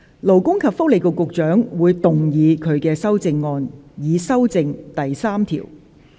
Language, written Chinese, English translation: Cantonese, 勞工及福利局局長會動議他的修正案，以修正第3條。, The Secretary for Labour and Welfare will move his amendment to amend clause 3